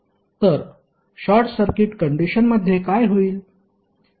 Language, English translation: Marathi, So what will happen under a short circuit condition